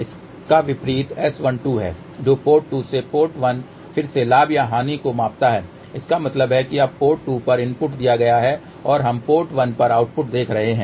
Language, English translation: Hindi, The opposite of this is S 12 which is a measure of gain or loss again from now, port 2 to port 1 so that means,